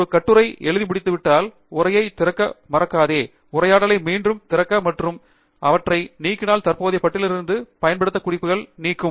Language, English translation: Tamil, Once you are done writing an article do not forget to open the Source Manage dialogue again and remove the unused references from the current list by deleting them